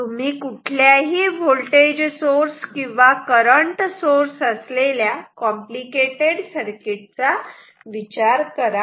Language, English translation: Marathi, So, think of a very complicated circuit as complicated as you can think voltage source, current source